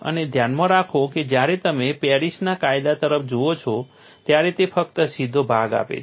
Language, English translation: Gujarati, And mind you, when you are looking at Paris law it gives only the straight portion